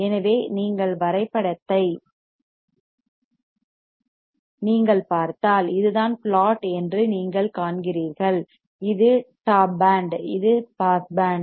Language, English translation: Tamil, So, you see here the plot if you see the plot what you see is this, is the band which is top band, this is the pass band